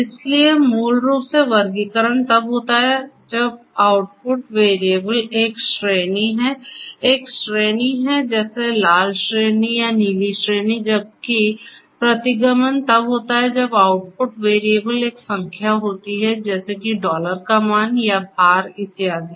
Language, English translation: Hindi, So, classification basically is when the output variable is a category; is a category such as you know red category or blue category whereas, regression is when the output variable is a real number such as the dollar values or the weight and so on